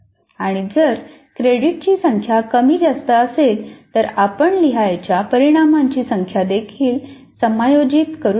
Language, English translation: Marathi, And if the number of credits are more or less, you can also adjust the number of outcomes that you want to write